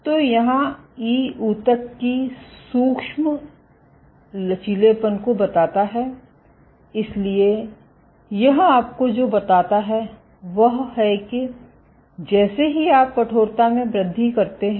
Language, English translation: Hindi, So, here e corresponds to the tissue micro elasticity, so what it tells you is that as you increase in stiffness